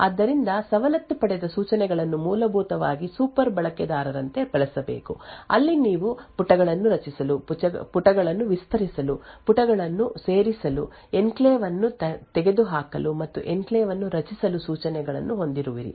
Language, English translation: Kannada, So the privileged instructions essentially should be used as a super user where you have instructions to create pages, add pages extend pages, remove enclave, and create an enclave and so on